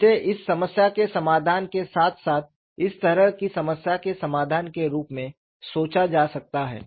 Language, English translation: Hindi, This is the problem that I have; this could be thought of as solution of this problem plus solution of a problem like this